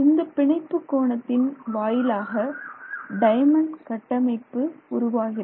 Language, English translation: Tamil, So, that is the bond angle and that's how the diamond structure comes about